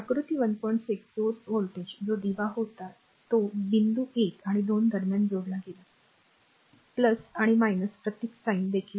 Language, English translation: Marathi, 6 source the voltage that was a lamp connected between points 1 and 2, the plus and minus symbol sines are also given